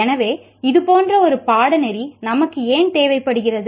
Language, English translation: Tamil, So why do we require a course like this